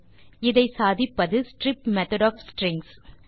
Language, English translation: Tamil, This is possible by using the strip method of strings